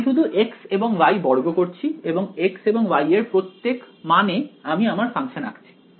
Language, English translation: Bengali, I am just squaring x and y and at each value of x and y I am plotting this function ok